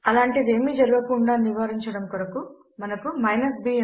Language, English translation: Telugu, To prevent anything like this to occur, we have the b option